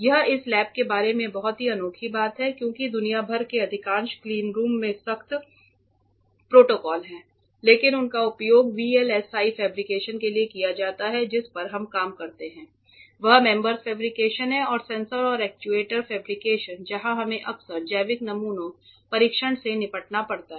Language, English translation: Hindi, This is something very unique about this lab because most of the cleanrooms across the world have strict protocols, but they are used for VLSI fabrication what we work on is mems fabrication and sensors and actuator fabrication where we very often have to deal with biological samples for testing